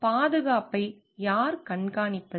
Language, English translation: Tamil, Who supervises safety